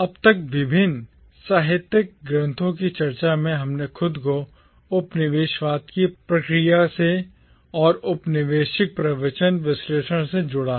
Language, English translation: Hindi, So far in our discussion of the various literary texts we have concerned ourselves with the process of colonialism and with colonial discourse analysis